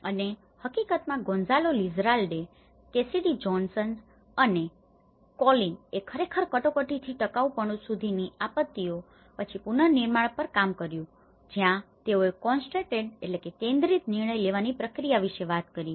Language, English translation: Gujarati, And in fact, Gonzalo Lizarralde and Cassidy Johnson and Colin and they have actually worked on rebuilding after disasters from emergency to sustainability, where they talk about it is a concentrated decision making process